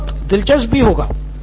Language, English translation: Hindi, That will be interesting